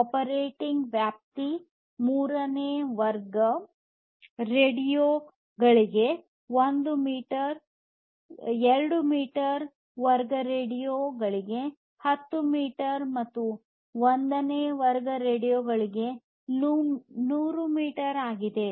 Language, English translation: Kannada, And the operating range is 1 meter for class 3 radios, 10 meters for class 2 radios and 100 meters for class 1 radios